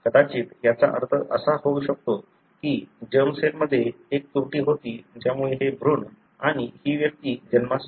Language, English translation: Marathi, It could possibly mean that there was an error in the germ cell that led to this embryo and this individual